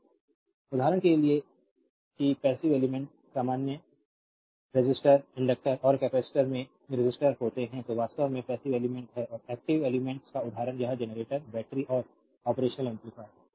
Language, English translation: Hindi, For example that passive elements are resistors in general resistors, inductors and capacitors these are actually passive elements right and example of active elements are it is generators, batteries and operational amplifiers